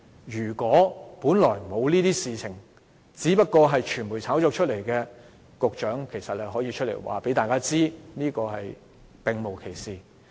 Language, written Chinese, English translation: Cantonese, 如果這些問題只是傳媒炒作，局長其實可以出來告訴大家並無其事。, If these issues are only fabricated by the media the Secretary can come out and clarify